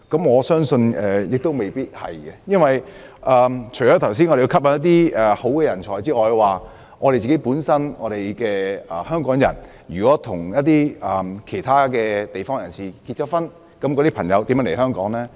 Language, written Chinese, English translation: Cantonese, 我相信也未必如此，否則，除了剛才提到我們要吸引人才外，香港人如果與其他地方的人結婚，他們的配偶如何來港呢？, Not necessarily I believe . If that is the case apart from the talents we want how do the spouses of Hongkongers who live in other places come to Hong Kong?